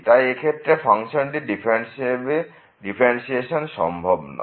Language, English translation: Bengali, So, the function is not differentiable in this case